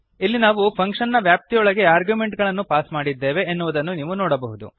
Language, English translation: Kannada, Here you can see that we have passed the arguments within the function